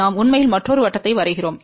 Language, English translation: Tamil, We actually draw a another circle